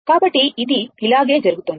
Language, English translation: Telugu, So, it is it is going like this